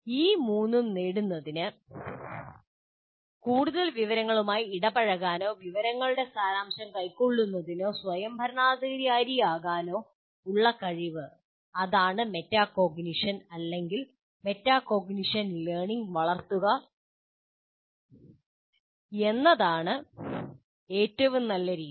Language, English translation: Malayalam, And to achieve these three, that is ability to engage with increasingly more information or distal information or to become an autonomous learner, one of the best methods is fostering metacognition learning